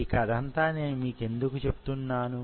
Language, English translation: Telugu, Why I am telling you this story